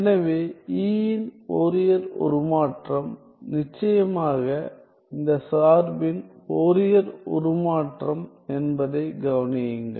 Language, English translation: Tamil, So, this is equal to the Fourier transform of etcetera; the Fourier transform of E